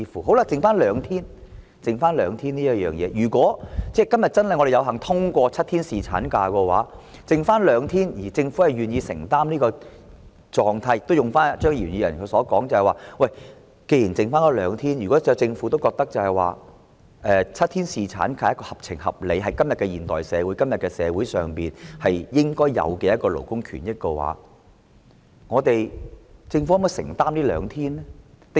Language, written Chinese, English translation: Cantonese, 餘下增加兩天侍產假的問題，如果今天有幸通過7天侍產假，而政府願意承擔這種狀態，而且正如張宇人議員所說，既然只相差兩天，如果政府認為7天侍產假合情合理，是在今天的現代社會應有的勞工權益，政府可否承擔這兩天的款項呢？, As regards the remaining issue of two extra days of paternity leave I hope that today we are lucky enough to endorse the seven - day paternity leave and the Government is willing to take on responsibility for it . As Mr Tommy CHEUNG put it since there are only two days of difference if the Government thinks that seven - day paternity leave is an appropriate and reasonable labour right for todays modern society can it shoulder the payment for these two days?